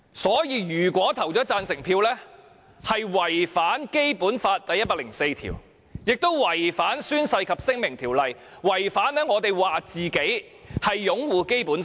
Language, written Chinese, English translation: Cantonese, 所以，如果我們投下贊成票，便是違反《基本法》第一百零四條，亦違反了《宣誓及聲明條例》，違反了自己聲稱所擁護的《基本法》。, For that reason if we cast the supporting votes then we will contravene Article 104 of the Basic Law and we have breached the Oaths and Declarations Ordinance and violate the Basic Law that we vowed to support